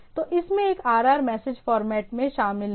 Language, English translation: Hindi, So, this comprises a RR message format